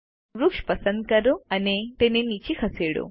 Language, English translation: Gujarati, Let us select the tree and move it down